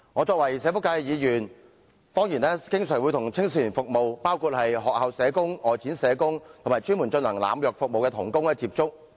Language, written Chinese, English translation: Cantonese, 身為社福界議員，我當然經常為青少年服務，並且與學校社工、外展社工，以及專門提供濫藥服務的同工接觸。, As a Member from the social welfare sector certainly I often serve young people and contact school social workers outreaching social workers as well as fellow workers specialized in providing services related to drug abuse